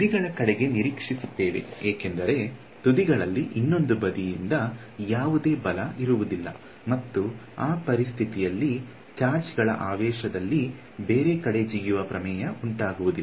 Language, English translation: Kannada, We would expect towards the ends because, on the end points there is no force from the other side right and we are assuming that the situation is not so dramatic that the charge jumps off the thing right